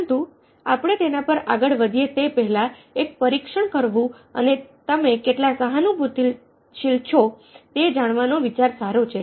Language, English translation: Gujarati, but before we went to that, probably good idea to take a test and find out how empathetic you're